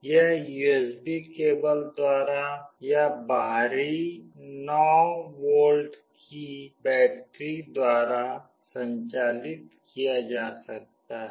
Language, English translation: Hindi, It can be powered by USB cable or by an external 9 volt battery